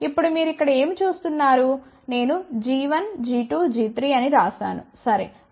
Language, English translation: Telugu, Now, what do you see over here is, I have written g 1, g 2, g 3, ok